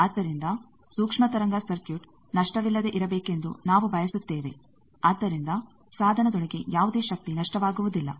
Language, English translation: Kannada, So, we want the microwave circuit to be lossless so that no power loss inside the device